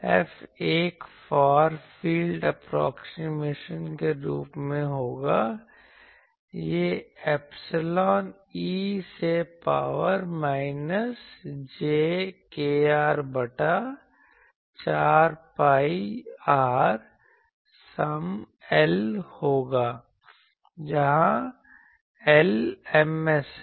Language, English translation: Hindi, F will be as a far field approximation, this will be epsilon e to the power minus jkr by 4 pi r some L; where, L is Ms